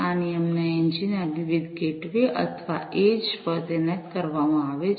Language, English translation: Gujarati, These rule engines are deployed at these different gateways or the edges